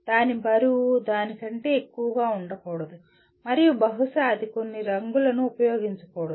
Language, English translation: Telugu, Its weight should not be more than that and possibly it should not use some colors